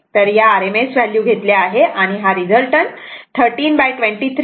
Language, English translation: Marathi, So, it is taken as rms value, and this this is resultant one, it is 13